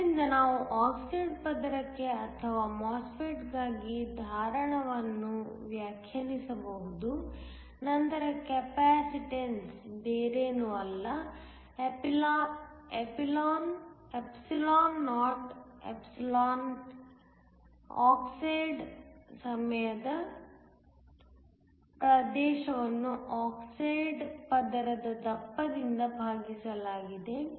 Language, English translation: Kannada, So, we can define a capacitance for the oxide layer or for the MOSFET then the capacitance is nothing but epsilon naught epsilon oxide times area divided by the thickness of the oxide layer